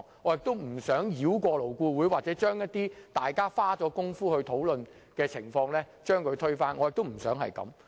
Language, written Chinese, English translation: Cantonese, 我亦不想繞過勞顧會，將一些大家花工夫討論得來的成果推翻。, I also do not wish to circumvent LAB destroying the fruit of the hard work of members engaged in the discussion